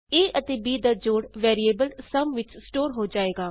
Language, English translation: Punjabi, Then sum of a amp b will be stored in the variable sum